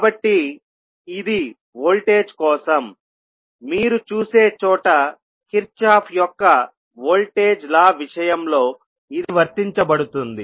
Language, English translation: Telugu, So this was for the voltage, where you see, this would be applied in case of Kirchhoff’s voltage law